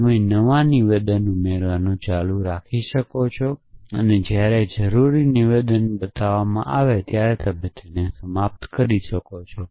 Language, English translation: Gujarati, You can keep adding new statements and you can terminate when the required statement is produced essentially